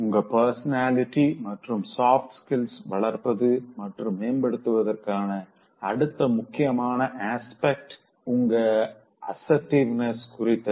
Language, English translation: Tamil, Now, the next important aspect of developing enhancing your personality, as well as soft skills is related to being assertive